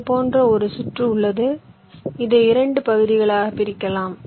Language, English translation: Tamil, so i have a circuit like this which i want to partition into two parts